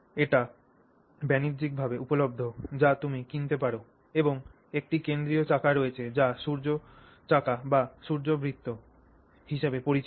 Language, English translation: Bengali, And there is a central wheel which is referred to as the sun wheel or the sun circle